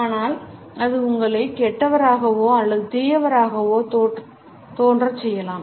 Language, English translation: Tamil, But it could also make you appear to be sinister or evil